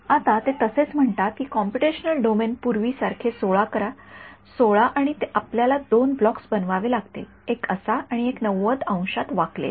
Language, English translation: Marathi, Now same thing they say make the computational domain as before 16, 16 and you have to make two blocks; one like this and the one the 90 degree bend